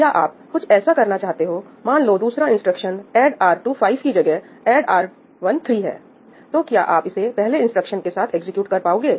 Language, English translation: Hindi, And of course, if you have something like, let us say that the second instruction, instead of ‘add R2 5’, it was ‘add R1 R3’ , then could you execute that in parallel along with the first instruction